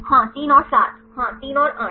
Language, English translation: Hindi, Yes 3 and 7 yes 3 and 8